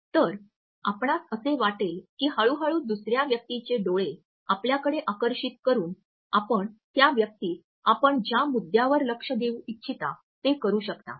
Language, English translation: Marathi, So, you would find that gradually by captivating the eyes of the other person, you would be in a position to make the other person look at the point you want to highlight